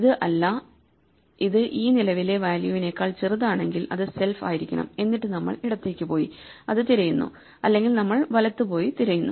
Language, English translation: Malayalam, This is not, it should be self if it is smaller than this current value then we go left and search for it otherwise we go right and search for it